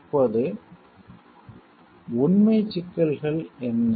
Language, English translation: Tamil, Now, what are the factual issues